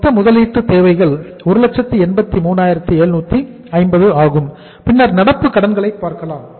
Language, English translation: Tamil, Total investment requirements are 183,750 and then we look at the current liabilities